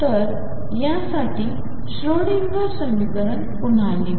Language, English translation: Marathi, So, let us rewrite the Schrodinger equation for this